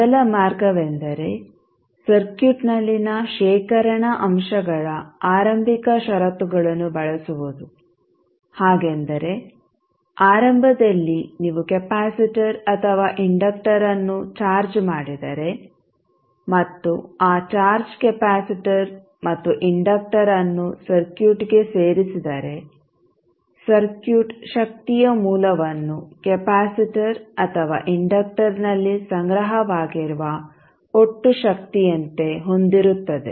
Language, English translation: Kannada, Now we have two ways to excite these first order circuits the first way is there, we will excite this circuit by using initial conditions of the storage elements in the circuit, so that means that initially if you charge either capacitor or inductor and insert that charged capacitor and the inductor into the circuit then, the circuit will have only the source of energy as the total energy stored in either capacitor or inductor